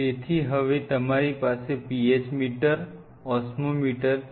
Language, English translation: Gujarati, So, now, a PH meter you have an osmometer